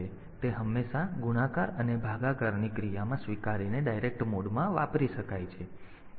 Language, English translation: Gujarati, So, it is always it can be used in direct mode accepting in the multiplication and division operation